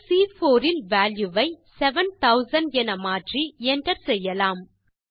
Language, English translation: Tamil, Now, let us increase the value in cell C4 to 7000 and press the Enter key